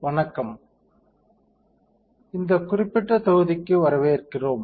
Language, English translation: Tamil, Hi, welcome to this particular module